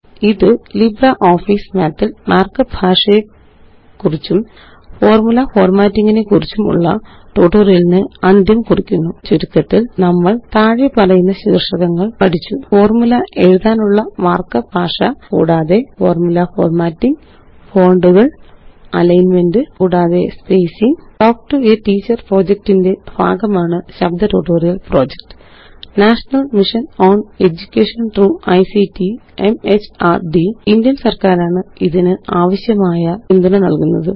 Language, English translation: Malayalam, This brings us to the end of this tutorial on Mark up Language and Formula Formatting in LibreOffice Math To summarize, we learned the following topics: Mark up language for writing formula and Formula formatting: Fonts, Alignment, and Spacing Spoken Tutorial Project is a part of the Talk to a Teacher project, supported by the National Mission on Education through ICT, MHRD, Government of India